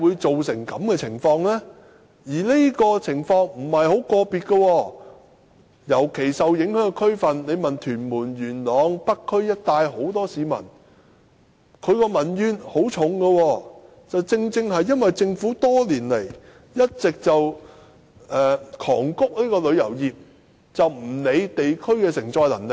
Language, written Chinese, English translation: Cantonese, 這種情況並非個別例子，尤其是受影響的區份如屯門、元朗和北區一帶的眾多市民，只要問問他們，便知道民怨很深，原因正是政府多年來大力催谷旅遊業，卻忽略了地區的承載能力。, Particularly for the many residents living in districts affected like Tuen Mun Yuen Long and North District Members will feel the deep sense of grievance if Members care to chat with them . This should be attributed to the vigorous promotion of the tourism industry by the Government over the years where the receiving capability of the districts has been overlooked